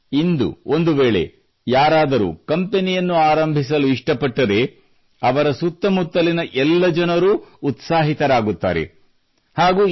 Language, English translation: Kannada, But, if someone wants to start their own company today, then all the people around him are very excited and also fully supportive